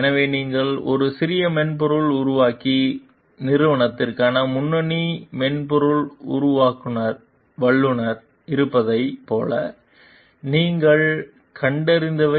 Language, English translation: Tamil, So, what you found over here like you are a lead software developer for a small software developing company